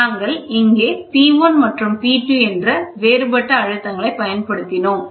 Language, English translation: Tamil, So, we use pressures are applied here P 1 P 2 differential pressure